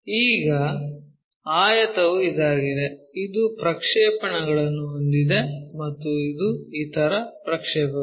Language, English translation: Kannada, Now, the rectangle is this one, having a projection that and the other projection is this